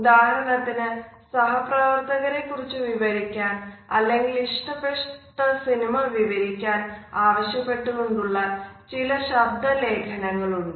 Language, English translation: Malayalam, There have been several audio recordings when people have been asked to describe their colleagues for example, or a particular movie